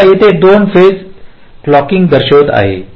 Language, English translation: Marathi, ok, now here we show two phase clocking